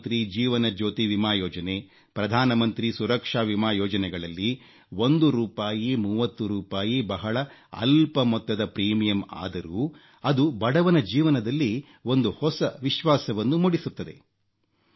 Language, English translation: Kannada, Schemes like, Pradhan Mantri Jeewan Jyoti Bima Yojna, Pradhan Mantri Suraksha Bima Yojna, with a small premium of one rupee or thirty rupees, are giving a new sense of confidence to the poor